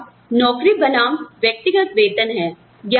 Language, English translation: Hindi, We have job versus individual pay